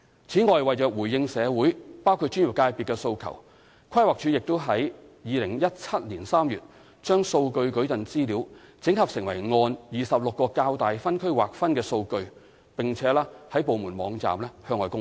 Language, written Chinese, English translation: Cantonese, 此外，為回應社會包括專業界別的訴求，規劃署已於2017年3月把數據矩陣資料整合成按26個較大分區劃分的數據，並在部門網站向外公開。, Moreover in response to the appeals from the community including those of the relevant professional sectors PlanD had aggregated the data of the Territorial Population and Employment Data Matrix into 26 larger districts and made public on its departmental website in March 2017